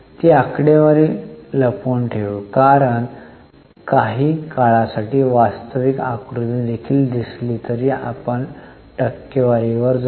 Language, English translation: Marathi, I think we'll unhide it because for some time also see the actual figure then we'll go to the percentages